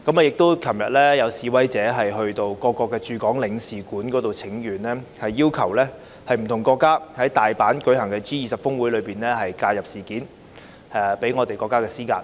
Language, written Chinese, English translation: Cantonese, 昨天亦有示威者到各國駐港領事館請願，要求不同國家在大阪舉行的 G20 峰會上介入事件，向我們的國家施壓。, Protesters also petitioned foreign consulates in Hong Kong yesterday calling for intervention by various countries at the G20 Osaka Summit to exert pressure on the State